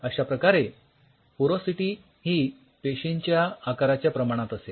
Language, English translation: Marathi, So, porosity is a function of your cell size